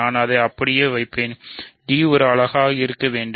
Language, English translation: Tamil, So, d must be a unit